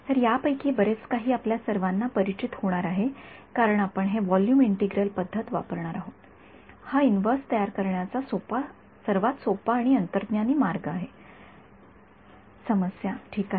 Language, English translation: Marathi, So, much of this is going to be familiar to you all because we are going to use a volume integral method right that is the easiest and most intuitive way to formulate this inverse problem ok